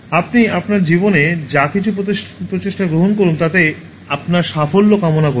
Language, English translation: Bengali, Wish you success in whatever endeavor that you take in your life, wish you happiness and peace also